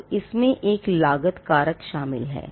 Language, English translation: Hindi, So, there is a cost factor involved